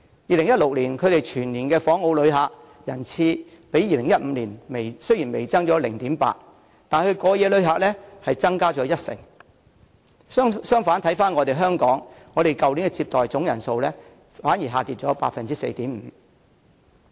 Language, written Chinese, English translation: Cantonese, 2016年的全年訪澳旅客人次雖只較2015年微升 0.8%， 但過夜旅客卻增加了一成，反觀香港去年的整體接待旅客總人數反而下跌了 4.5%。, Although the annual total visitor arrivals in Macao for 2016 have only increased slightly by 0.8 % when compared with those for 2015 the total overnight visitor arrivals have increased by 10 % . As for Hong Kong the total number of visitors we received last year have decreased by 4.5 %